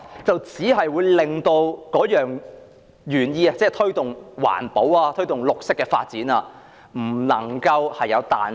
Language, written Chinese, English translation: Cantonese, 所以，如果定義寫得太明確，推動環保、推動綠色發展就會欠缺彈性。, Therefore an overly exact definition will produce inflexibility for the promotion of environmental protection and green development